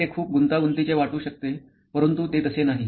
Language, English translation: Marathi, It may look very complicated but it is actually not